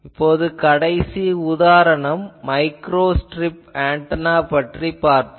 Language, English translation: Tamil, Now, we will see the last example that will be microstrip antenna